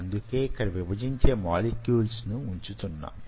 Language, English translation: Telugu, so i am just putting that dividing molecules